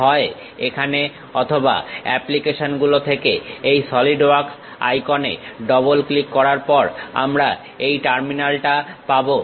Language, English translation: Bengali, After double clicking these Solidworks icon either here or from the applications we will have this terminal